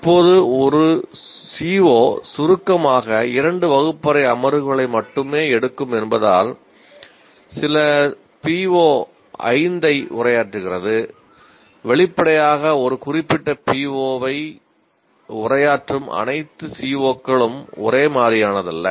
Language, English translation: Tamil, Now just because one CO, briefly which takes only two classroom sessions is addressing some PO5, obviously it is not the same thing as all COs addressing a particular PO